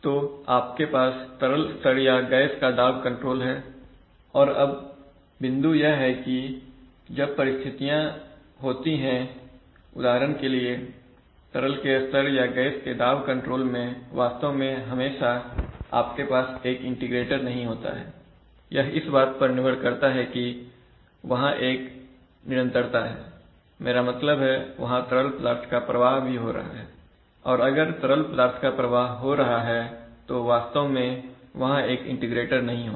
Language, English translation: Hindi, So you have liquid level or gas pressure control and now, the, so the point is, now, when, there are situations for example, in liquid level or gas pressure control not only that you always have an integrator actually that depends on whether there is a constantly, I mean, there the fluid is also being drained, if the fluid is being drained then it will not be a, then there will not be an actual integrator